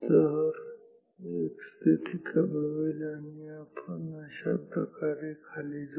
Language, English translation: Marathi, So, x position will decrease and we will go down like this